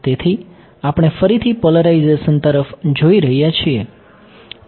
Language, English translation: Gujarati, So, we are looking at again which polarization